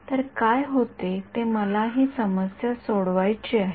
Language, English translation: Marathi, So, what happens is that I want to solve this problem right